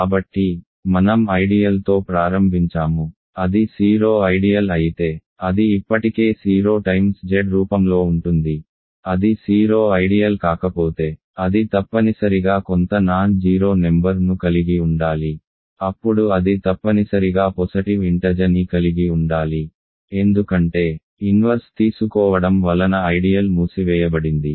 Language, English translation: Telugu, So, we started with an ideal if it is the 0 ideal it is already of the form 0 times Z, if it is not the 0 ideal it must contain some non zero number, then it must contain a positive integer, because ideal is closed under the taking inverses